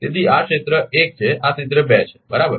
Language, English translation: Gujarati, So, this is area 1 this is area 2 right